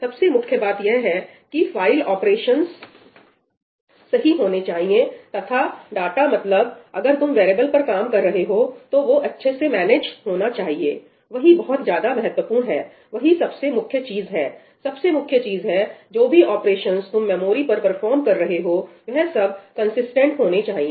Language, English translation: Hindi, What is important is that the file operations must be correct, and the data when you working on variables that they should be managed properly, that is very very important, that is the most important thing, the operations you are performing on main memory, they must be consistent